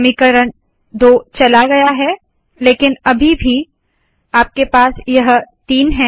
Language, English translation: Hindi, This equation 2 is gone, but you still have this three